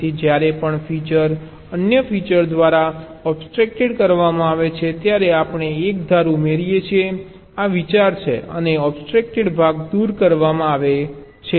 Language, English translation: Gujarati, so whenever the features is obstructed by another features, we add an edge this is the idea and the obstructed part is removed